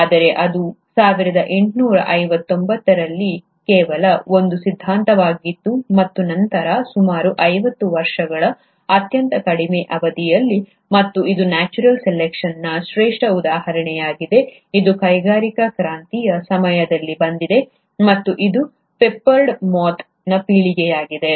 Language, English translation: Kannada, But this was just a theory in 1859 and later on, within a very short span of about fifty years, and this has been the classic example of natural selection, has been around the time of industrial revolution, and this has been the generation of the peppered Moth